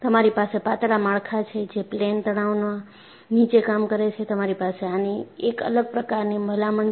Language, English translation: Gujarati, So, you have thin structures which are under plane stress; you have a different recommendation